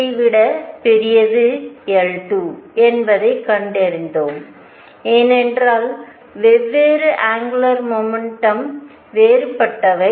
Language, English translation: Tamil, We found that L 1 is greater than L 2 is greater than L 3, because the different angular momentums are different